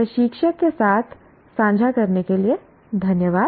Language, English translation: Hindi, Thank you for sharing with the instructor